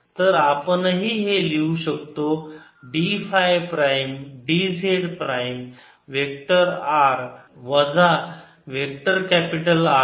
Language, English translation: Marathi, so we we can write d phi prime, d j prime, vector r minus vector capital r